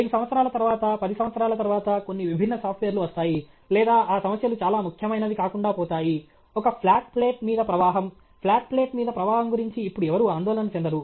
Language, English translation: Telugu, After 5 years, 10 years some other different software will come or those problems themselves will not be very important; flow over a flat plate, flow over a flat plate; nobody worries about flow over a flat plate now okay